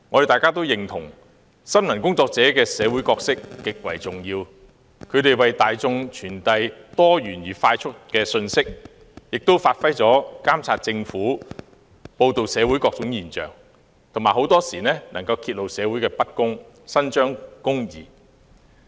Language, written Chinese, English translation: Cantonese, 大家均認同新聞工作者的社會角色極為重要，他們為大眾快速傳遞多元的信息，發揮監察政府的功能、報道社會各種現象，很多時能夠揭露社會的不公，伸張公義。, We all agree that media workers play a very important role in society . They disseminate timely and diverse information to the public monitor the Government and often expose unfairness in society to ensure that justice is done